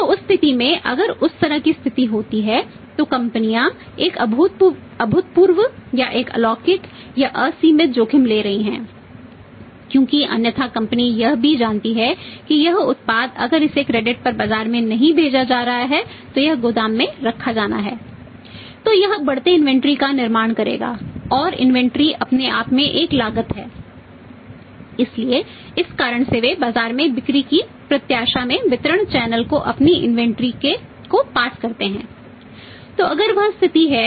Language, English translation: Hindi, So, in that case if that kind of situation happens companies taking a unprecedented or uncalculated or the unlimited risk because otherwise also company knows that this product if it is not passed on to the mark on credit this has to be kept in to the warehouse